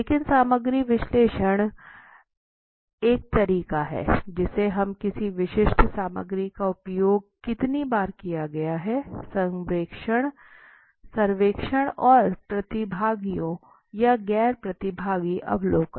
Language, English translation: Hindi, But content analysis is a method which we use that how many times a particular content as been repeated right, surveys and participants or non participant observation